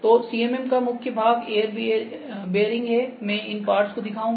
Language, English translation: Hindi, So, main parts of CMM are air bearing, I will show this parts do there